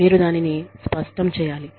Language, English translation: Telugu, You make that clear